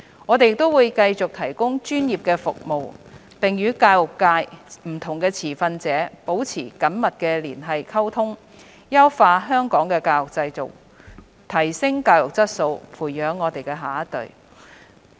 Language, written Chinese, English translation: Cantonese, 我們亦會繼續提供專業的服務，並與教育界不同持份者保持緊密連繫及溝通，優化香港的教育制度，提升教育質素，培育下一代。, We will also continue to provide professional services and maintain close liaison and communication with different stakeholders in the education sector with a view to improving Hong Kongs education system enhancing the quality of education and nurturing our next generation